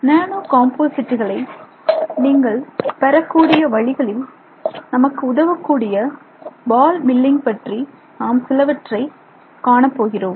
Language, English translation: Tamil, We will look at something called ball milling which is used to help us which is one of the ways in which you can get a nano composite